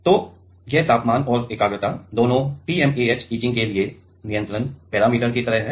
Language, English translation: Hindi, So, these temperature and the concentration both are like control parameter for TMAH etching